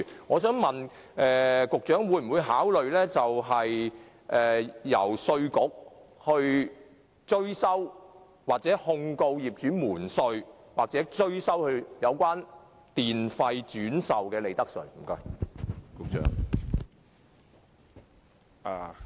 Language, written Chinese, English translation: Cantonese, 我想問，局長會否考慮由稅務局控告業主瞞稅或向業主追收轉售電力的利得稅？, I would like to ask the Secretary whether he will consider asking the Inland Revenue Department to prosecute the landlords concerned for tax evasion or recover profits tax from them for reselling electricity